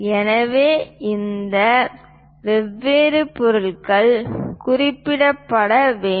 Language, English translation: Tamil, So, these different materials has to be mentioned